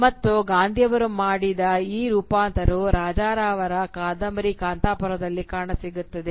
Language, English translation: Kannada, Gandhi, and how this transformation wrought by Gandhi find its way in the novel of Raja Rao titled Kanthapura